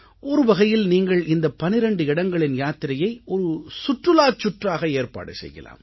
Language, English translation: Tamil, In a way, you can travel to all these 12 places, as part of a tourist circuit as well